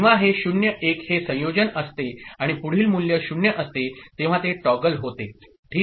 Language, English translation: Marathi, When this is 0, 1 this combination, and next value is 0, it toggles ok